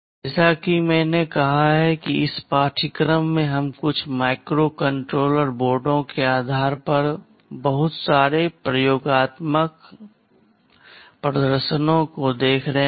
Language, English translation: Hindi, As I said that in this course we shall be looking at a lot of experimental demonstrations based on some microcontroller boards